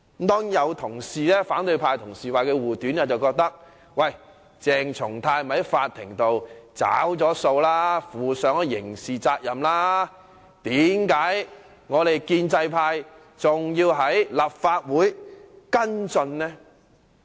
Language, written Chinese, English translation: Cantonese, 當然，有反對派同事為他護短，認為鄭松泰已經在法庭上"找數"了，負上了刑事責任，為何建制派還要在立法會跟進呢？, Of course some colleagues of the opposition camp have tried to shield his wrongdoing . They hold that CHENG Chung - tai had already paid the price at the Court by being held criminally liable and ask why the pro - establishment camp has to follow this up in the Legislative Council